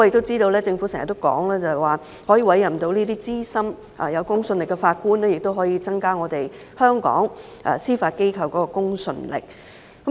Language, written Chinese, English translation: Cantonese, 政府經常表示，委任這些資深、具公信力的法官，可以增加香港司法機構的公信力。, The Government often says that the appointment of these seasoned and credible judges can enhance the credibility of Hong Kongs judiciary